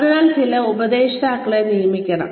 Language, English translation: Malayalam, So, there should be some mentor assigned